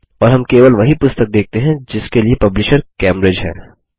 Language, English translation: Hindi, and we see only those books for which the publisher is Cambridge